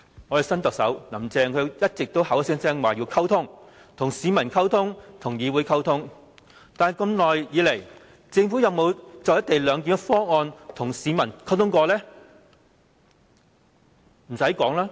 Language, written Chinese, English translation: Cantonese, 我們的新特首"林鄭"一直聲稱要溝通，跟市民溝通、跟議會溝通，但一直以來，政府有否就"一地兩檢"方案，跟市民溝通呢？, Our new Chief Executive Carrie LAM has kept saying that she wants to have communications with the public and also with the legislature . But has the Government ever communicated with the public on the co - location arrangement?